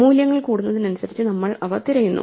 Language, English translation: Malayalam, So we keep looking for values as they increase